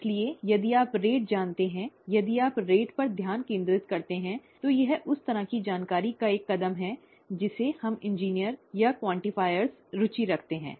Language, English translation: Hindi, So if you know the rate, if you focus on the rate, it is a one step answer to the kind of information that we engineers or quantifiers are interested in